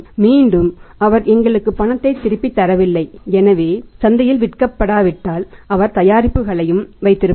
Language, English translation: Tamil, Again he is not paying us back in cash so he will also keep the product until unless it is sold in the market